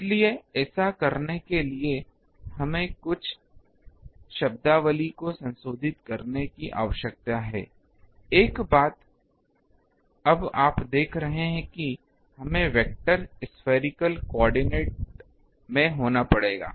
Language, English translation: Hindi, So, to do that we need to just modify our some terminology; one thing is now you see we will have to have in the vector spherical coordinate